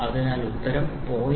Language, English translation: Malayalam, So, the answer is going to be 0